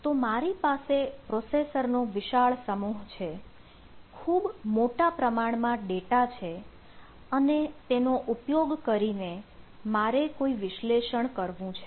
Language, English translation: Gujarati, so i have a large pool of processors, a huge pool of data and i want to do some analysis out of it